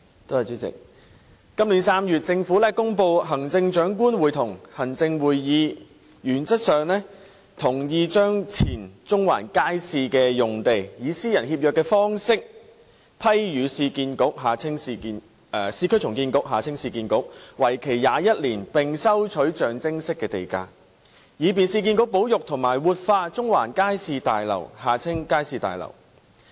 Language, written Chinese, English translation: Cantonese, 主席，今年3月，政府公布行政長官會同行政會議原則上同意把前中環街市用地，以私人協約方式批予市區重建局，為期21年並收取象徵式地價，以便市建局保育和活化中環街市大樓。, President in March this year the Government announced that the Chief Executive in Council had approved in principle that the site of the former Central Market be granted to the Urban Renewal Authority URA by a private treaty for a term of 21 years at a nominal land premium to enable URA to conserve and revitalize the Central Market Building CMB